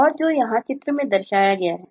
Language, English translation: Hindi, and this is the diagram that typically depict this